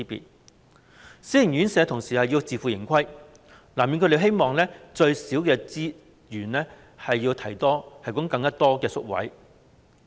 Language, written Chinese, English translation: Cantonese, 同時，私營院舍要自負盈虧，所以，難免會希望用最少的資源提供最多的宿位。, At the same time private homes are self - financing . It is inevitable that they will hope to provide as many as possible places with as few as possible resources